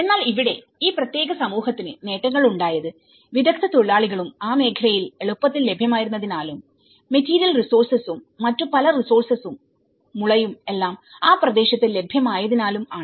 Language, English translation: Malayalam, But here, the benefits for these particular community was because the skilled labour was also easily available in that region number one and the material resources many of the resources bamboo and all, they are also available in that region